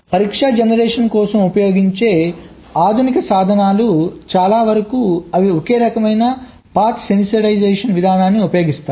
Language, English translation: Telugu, so most of the modern tools that are used for test generation they use some kind of ah path sanitization approach